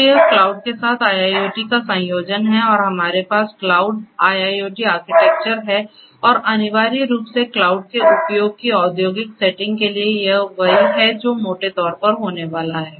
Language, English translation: Hindi, So, this is a combination of IIoT with cloud and so we have a cloud IIoT architecture and essentially for industrial settings of use of cloud this is what is grossly it is going to happen